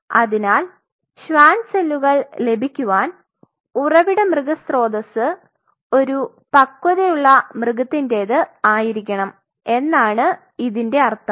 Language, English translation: Malayalam, So, it means in order to obtain a Schwann cells your source animal source has to be a matured animal